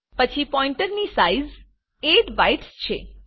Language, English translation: Gujarati, Then the size of pointer is 8 bytes